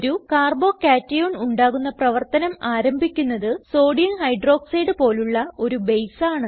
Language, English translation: Malayalam, Formation of a Carbo cation is initialized by a base like Sodium Hydroxide